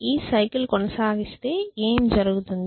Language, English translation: Telugu, What will happen if I continue this cycle